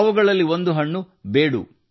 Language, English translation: Kannada, One of them is the fruit Bedu